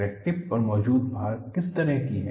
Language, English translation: Hindi, What is the kind of loading that exists at the crack tip